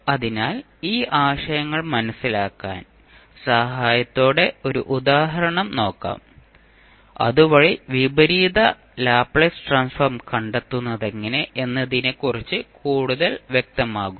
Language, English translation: Malayalam, So, to understand these concepts, let us understand with the help one example, so that you are more clear about how to proceed with finding out the inverse Laplace transform